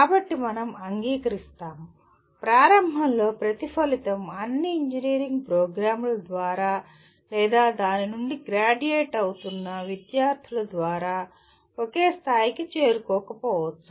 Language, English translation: Telugu, So we will accept that, initially every outcome may not be attained to the same level by all engineering programs or by the students who are graduating from that